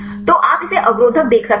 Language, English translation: Hindi, So, you can this see inhibitor